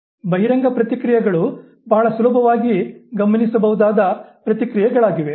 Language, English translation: Kannada, Overt responses are those responses which are very readily observable